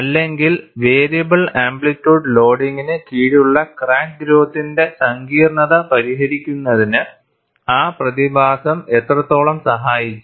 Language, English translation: Malayalam, Or how much that phenomenon contributed to the resolution of the complexity of crack growth, under variable amplitude loading